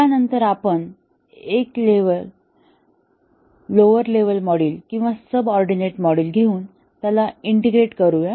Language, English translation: Marathi, And then we take one lower level module or a subordinate module and integrate them